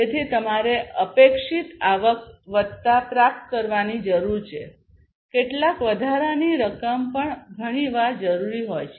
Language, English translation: Gujarati, So, you need to; you need to achieve the expected revenue plus you need to have some surplus that is also required often